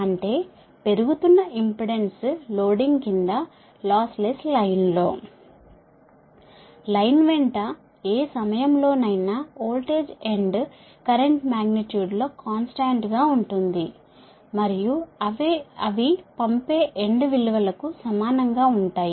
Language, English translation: Telugu, that means it shows that in a loss less line under surge impedance loading, the voltage end current at any point along the line, are constant in magnitude and are equal to their sending end values